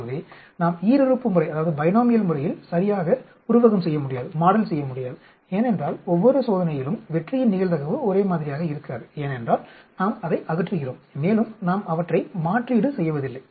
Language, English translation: Tamil, So, we cannot exactly model by binomial, because the probability of success on each trail is not the same, because we are removing it, and we are not replacing them